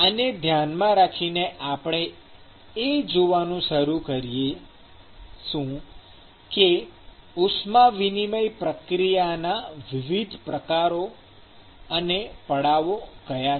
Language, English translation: Gujarati, With this in mind, we will start looking at what are the different types of heat transport process, what are the different modes of heat transfer process